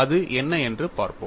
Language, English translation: Tamil, We will see what it is